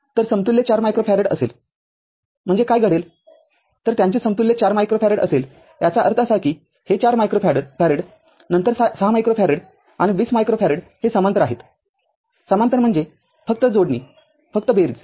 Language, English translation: Marathi, So, equivalent will be 4 micro farad therefore, what will happen that ah their equivalent is 4 micro farad those; that means, this 4 micro farad then 6 micro farad and 20 micro farad are in parallel are in parallel parallel means just a combination just addition